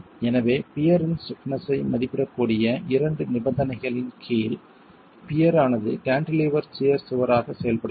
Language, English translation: Tamil, So, the two conditions under which the stiffness of the peer can be estimated is that the peer is acting as a cantilevered shear wall